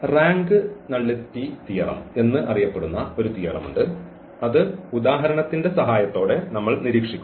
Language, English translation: Malayalam, There is a rank nullity theorem which we will just observe with the help of the example